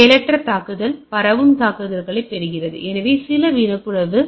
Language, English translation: Tamil, So, passive attack obtain information that is transmitted, so some of a eavesdropping